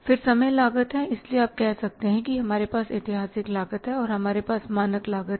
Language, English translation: Hindi, So you can say that we have the historical cost and we have the standard cost